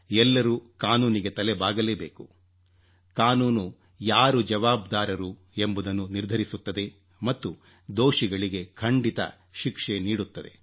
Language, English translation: Kannada, Each and every person will have to abide by the law; the law will fix accountability and the guilty will unquestionably be punished